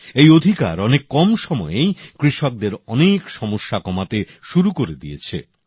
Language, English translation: Bengali, In just a short span of time, these new rights have begun to ameliorate the woes of our farmers